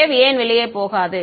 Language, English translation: Tamil, Why would not the wave go out